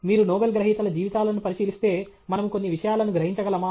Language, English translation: Telugu, If you look at the lives of Nobel Laureates can we draw some inferences